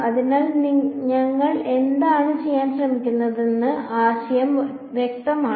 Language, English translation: Malayalam, So, the idea is clear what we are trying to do